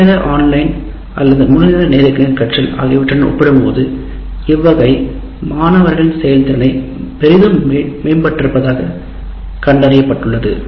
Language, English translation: Tamil, And it has been found that the performance of the students greatly improved compared to full time online or full time face to face learning experiences